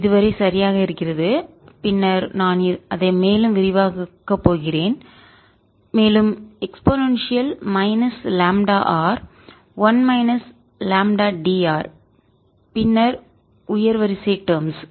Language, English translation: Tamil, so far is exact, and then i am going to expand it further as e raise to minus lambda r, one minus lambda d r, alright, and then higher order terms